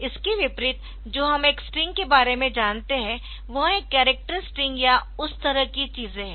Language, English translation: Hindi, So, unlike say what we know about a string that is a character string or things like that